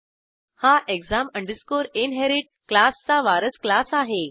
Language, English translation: Marathi, And exam inherit is the base class for class grade